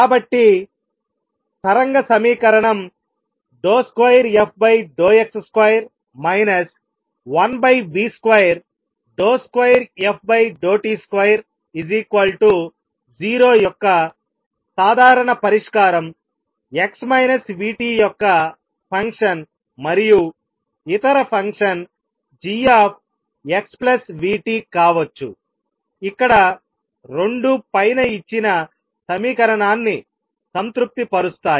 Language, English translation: Telugu, So, a general solution for the wave equation d 2 f by d x square minus 1 over v square d 2 f by d t square is equals to 0 is a function of x minus v t and could be some other function g of x plus v t where both satisfy the equation given above